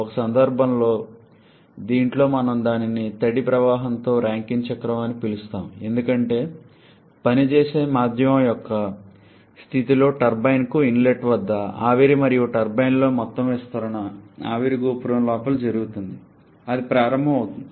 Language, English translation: Telugu, In one case, in this one we call it the Rankine cycle with wet stream because at the inlet to the turbine in the state of the working medium is that of vapour and entire expansion in the turbine is done within the vapour dome, that is starting from saturated vapour to a saturated liquid vapour mixture